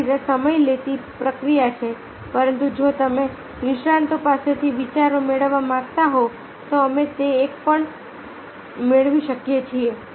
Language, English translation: Gujarati, so it is a time taking process, but if you want to get the ideas from the experts we can get it also